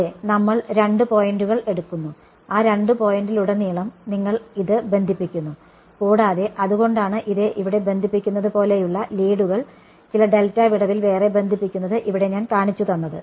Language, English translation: Malayalam, Yeah, we take two points and across those two points you connect this and so, that is why that is I have shown the leads like this one is connecting here the other is connecting over here right across some gap delta